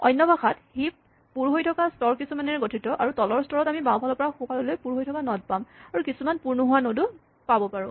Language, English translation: Assamese, In other words, at any point a heap consists of a number of filled levels and then in the bottom level we have nodes filled from left to right and then possibly some unfilled nodes